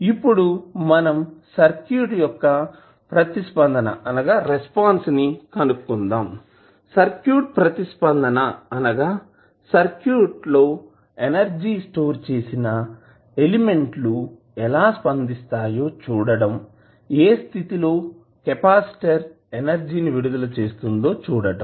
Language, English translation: Telugu, Now that we have to do, we have to find out the circuit response, circuit response means, the manner in which the circuit will react when the energy stored in the elements which is capacitor in this case is released